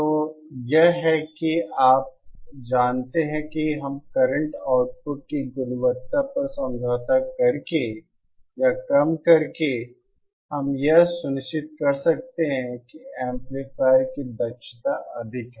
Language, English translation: Hindi, So that is how you know we can so by reducing the or by compromising on the quality of the current output, we can ensure that the efficiency of the amplifier is high